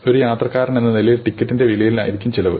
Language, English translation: Malayalam, As a passenger, the cost would be the price of ticket